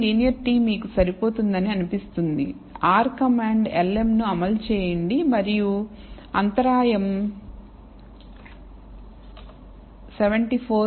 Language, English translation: Telugu, So, it shows that the linear t seems to be adequate you can run the r command lm and you will find that the intercept is 74